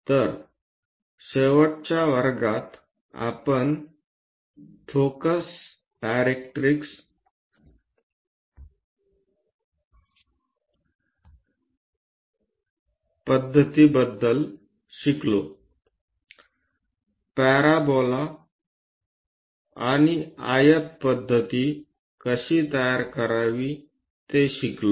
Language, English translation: Marathi, So, in the last classes, we have learned about focus directrix method; how to construct a parabola and a rectangle method